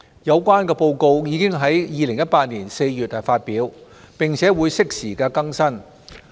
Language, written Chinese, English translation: Cantonese, 有關報告已於2018年4月發表，並會適時更新。, The risk assessment report was published in April 2018 and will be updated from time to time